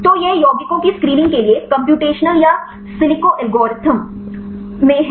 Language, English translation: Hindi, So, this is the computational or in silico algorithm for screening this compounds